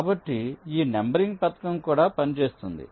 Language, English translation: Telugu, so this numbering scheme will also work